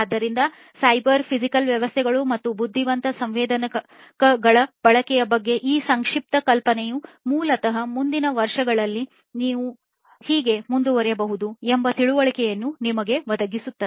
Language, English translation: Kannada, So, this brief of brief idea about cyber physical systems and the use of intelligent sensors basically equips you with an understanding of how you can go forward in the years to come, if you have to make your industry compliant with Industry 4